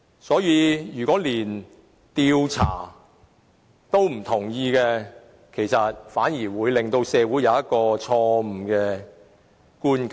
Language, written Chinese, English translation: Cantonese, 因此，如果連調查也不同意，反而會令社會產生錯誤的觀感。, Therefore if Members oppose the mere request to conduct an investigation they may instead give the public a wrong impression